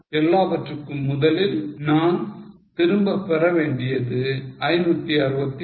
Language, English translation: Tamil, First of all, we want to recover 561